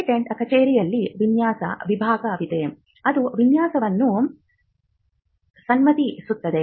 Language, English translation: Kannada, The patent office has a design wing, which grants the design